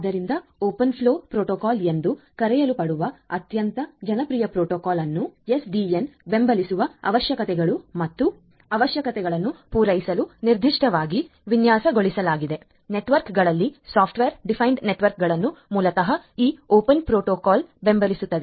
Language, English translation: Kannada, So, there is a very popular protocol which is known as the open flow protocol which is specifically designed to cater to the requirements and the necessities of supporting SDN in a network software defined networks basically will be supported by this open protocol